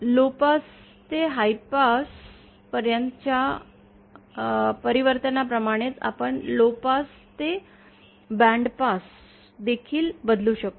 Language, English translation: Marathi, similar to this transformation from lowpass to high pass, we can also have a transformation from lowpass to bandpass